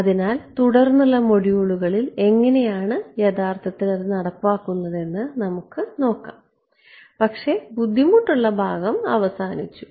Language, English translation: Malayalam, So, in subsequent modules we will look at how do we actually implemented, but the hard part is over I ok